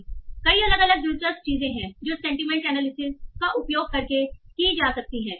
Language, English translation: Hindi, So there are a lot of different interesting things that can be done using sentiment analysis